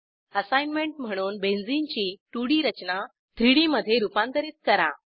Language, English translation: Marathi, As an assignment, Convert Benzene structure from 2D to 3D